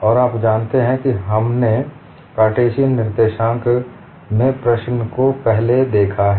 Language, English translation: Hindi, And you know we have looked at the problem in Cartesian coordinates earlier